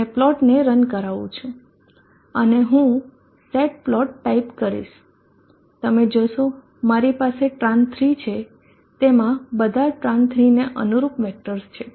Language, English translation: Gujarati, 6 ohms and run the plot and I will type in set plot you will see I have Tran 3 all the vectors corresponding to transit